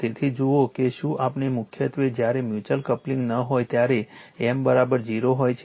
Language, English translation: Gujarati, So, look if we the due to a mainly when mutual coupling is not there M is equal to 0